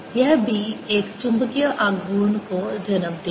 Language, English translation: Hindi, this b will give rise to a magnetic moment